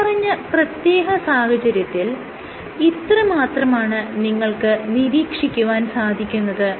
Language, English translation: Malayalam, In this particular case here, that is it this is all that you will observe